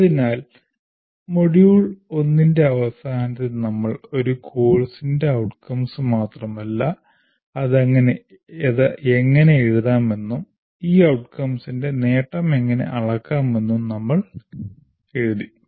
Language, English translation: Malayalam, So, at the end of module 1, we not only wrote outcomes of a program, outcomes of a course and how to write that as well as how to measure the attainment of these outcomes